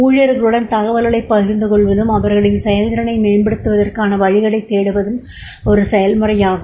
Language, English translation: Tamil, It is the process of evaluating the performance of employees sharing that information with them and searching for ways to improve their performance